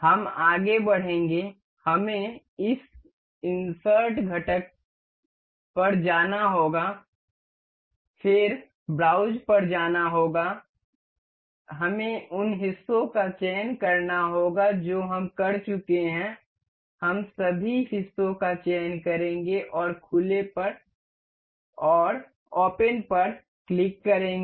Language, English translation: Hindi, We will go on we have to go on this insert component then go to browse, we have to select the parts we have been we will control select all the parts and click open